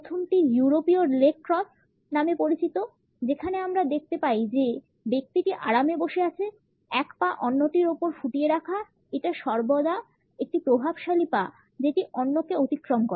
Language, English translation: Bengali, The first is known as the European leg cross, in which we find that the person is sitting comfortably, dripping one leg over the other; it is always the dominant leg which crosses over the other